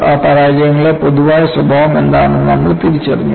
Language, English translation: Malayalam, Then we identified what is the commonality in those failures